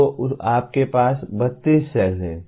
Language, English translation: Hindi, So you have 32 cells